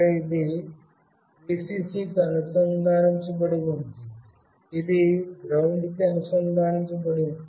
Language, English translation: Telugu, This is where it is connected to Vcc, this is connected to GND